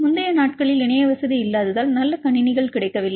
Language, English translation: Tamil, Earlier days because so not good computers are available as internet facility was not there